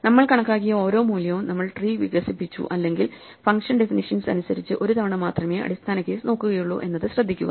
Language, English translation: Malayalam, Notice therefore, that every value we computed, we expanded the tree or even looked up the base case only once according to the function definition